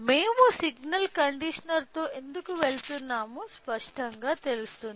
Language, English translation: Telugu, So, it is clear why we are going with signal conditioner